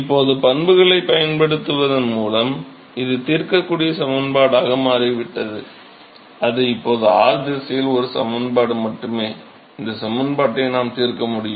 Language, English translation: Tamil, Simply by using the properties now, it has become a solvable equation it is now only an equation in r direction right, we can solve this equation